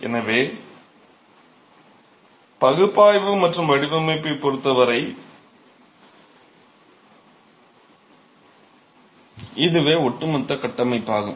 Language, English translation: Tamil, So, this is the overall framework as far as analysis and design is concerned